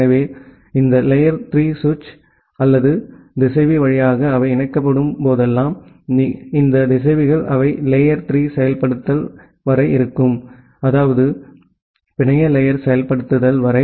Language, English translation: Tamil, So, whenever they are connected via this layer 3 switch or the router, and these routers they have up to layer 3 implementation; that means, up to network layer implementation